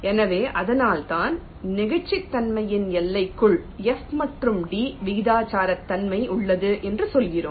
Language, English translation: Tamil, so that's why we are saying that within limits of elasticity the proportionality of f and d holds